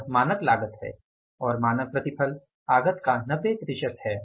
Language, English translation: Hindi, This is a standard cost and the standard yield is 90% of the output